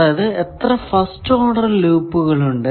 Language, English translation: Malayalam, What is the second order loop